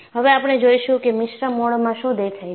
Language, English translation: Gujarati, Now, we would see what is seen in a mixed mode